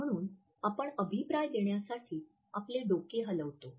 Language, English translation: Marathi, So, we may nod our head in order to pass on our feedback